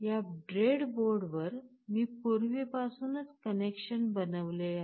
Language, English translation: Marathi, Now on this breadboard, I have already made such connections